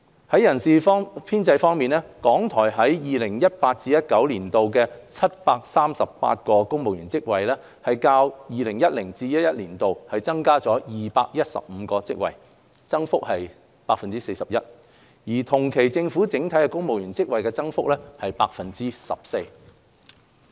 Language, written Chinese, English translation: Cantonese, 在人事編制方面，港台於 2018-2019 年度的738個公務員職位，較 2010-2011 年度增加了215個職位，增幅為 41%， 而同期政府整體的公務員職位增幅為 14%。, As for manpower RTHKs civil service posts of 738 in 2018 - 2019 represent an increase by 41 % or 215 posts as compared with 2010 - 2011 . This is in comparison to an increase by 14 % in the Governments entire civil service establishment for the same period